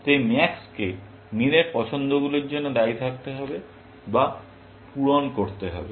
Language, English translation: Bengali, So, max has to account for, or cater to all of min choices